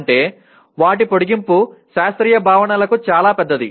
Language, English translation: Telugu, That means their extension is much larger for classical concepts